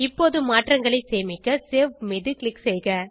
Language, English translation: Tamil, Now, Click on Save to save the changes